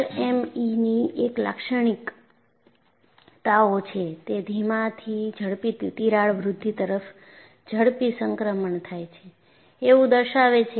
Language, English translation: Gujarati, And there is a typical characteristic of LME, what it shows is, it shows a rapid transition from slow to rapid crack growth